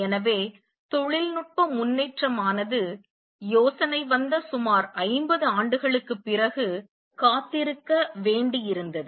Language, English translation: Tamil, So, technological advancement had to wait about 50 years after the idea came